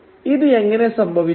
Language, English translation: Malayalam, So how does this happen